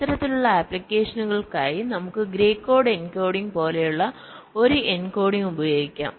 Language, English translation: Malayalam, for these kind of applications we can use an encoding like something called gray code encoding